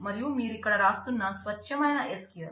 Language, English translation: Telugu, And this is the pure SQL that you are writing here